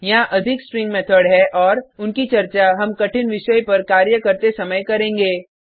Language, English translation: Hindi, There are more String methods and Well discuss them as we move on to complex topics